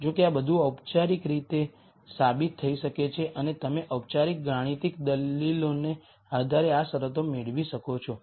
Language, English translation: Gujarati, However, all of this can be formally proved and you can derive these conditions based on formal mathematical arguments